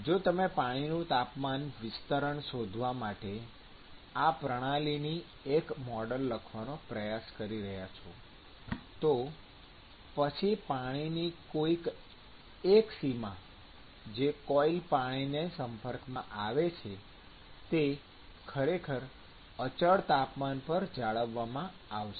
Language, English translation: Gujarati, So, if you are trying to write a model of this system to find the temperature distribution of water, then one of the boundaries to which the coil is exposed to to which the water is exposed to the coil will actually be maintained at a certain constant temperature